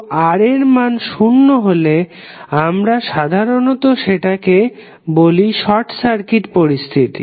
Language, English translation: Bengali, So, when the value of R is zero, we generally call it as a short circuit condition